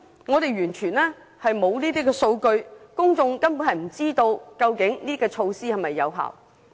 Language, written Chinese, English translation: Cantonese, 我們完全沒有相關數據，公眾根本不知道所採取的措施是否有效。, We do not have any statistics at all . The public simply do not know whether the measures adopted are effective